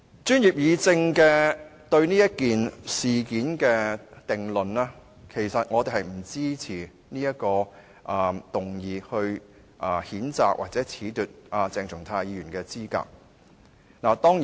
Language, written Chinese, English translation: Cantonese, 專業議政對這件事的定論是，其實我們不支持動議譴責鄭松泰議員或褫奪他的議員資格。, The conclusion drawn by the Professionals Guild on this incident is we do not support the motion to censure Dr CHENG Chung - tai or disqualify him from office